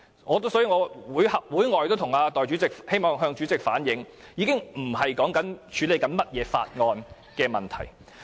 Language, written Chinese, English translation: Cantonese, 我在會外也曾向主席反映，這已經不是處理甚麼法案的問題。, I have also told the President on other occasions that this is no longer a matter of dealing with a certain bill